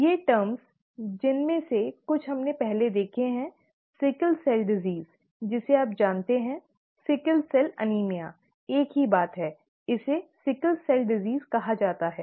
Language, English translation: Hindi, These terms, some of which we have seen earlier; sickle cell disease you know, sickle cell anemia, the same thing, it is called sickle cell disease